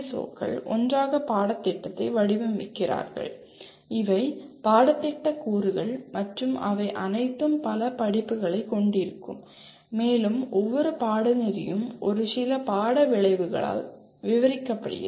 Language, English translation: Tamil, And these POs and PSOs together design the curriculum and these are the curriculum components and all of them will have or will have several courses and each course is described by a set of course outcomes